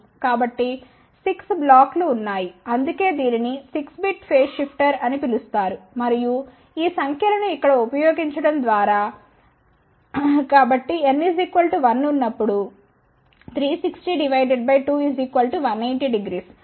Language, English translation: Telugu, So, 6 blocks are there that is why it is known as 6 bit phase shifter and these numbers can be obtained by using this particular thing here